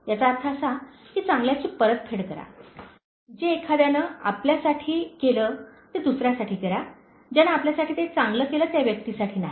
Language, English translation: Marathi, It simply means, return the good, that someone did for you to someone else, not to the person who did that good for you